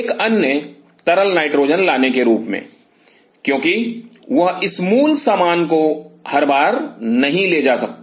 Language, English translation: Hindi, The other one as to bring the liquid nitrogen, because he cannot carry this parent stuff every time